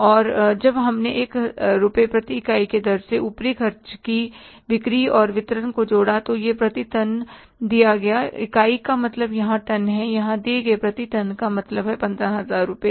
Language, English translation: Hindi, And when we added the selling and distribution overheads at the rate of rupees one per unit, per ton it is given, unit means ton here, per ton given here is 15,000 rupees